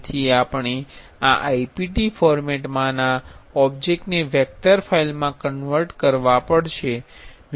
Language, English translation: Gujarati, So, we have to convert this object in ipt format to a vector file